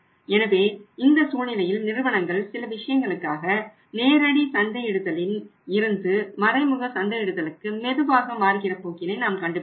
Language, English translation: Tamil, So, in this case we are finding that the trend is like that companies are moving slowly slowly from the direct marketing to the indirect marketing because of certain things